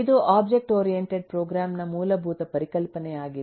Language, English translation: Kannada, it is a fundamental concept of object oriented program